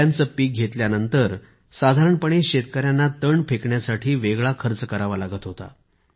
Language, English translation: Marathi, After the harvesting of banana, the farmers usually had to spend a separate sum to dispose of its stem